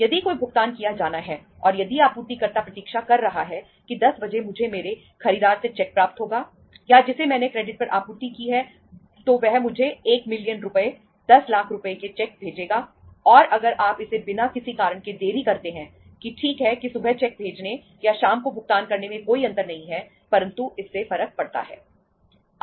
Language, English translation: Hindi, If any payment is due to be made and if the supplier is waiting that at 10 o’clock I will be receiving the cheque from my buyer or to whom I have supplied on credit, he will be sending me the cheque for say say 1 million rupees, 10 lakh rupees and if you delay it just without any reason that okay there is no difference sending the cheque in the morning or making the payment in the evening, that makes the difference